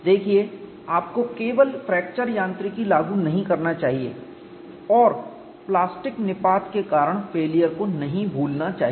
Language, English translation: Hindi, See, you should not simply apply only fracture mechanics and miss out failure due to plastic collapse